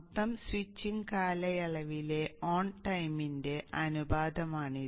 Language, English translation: Malayalam, This is the ratio of the on time by the total switching period